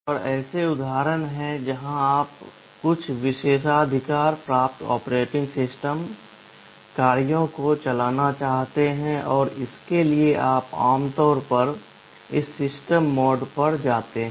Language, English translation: Hindi, And there are instances where you want to run some privileged operating system tasks, and for that you typically go to this system mode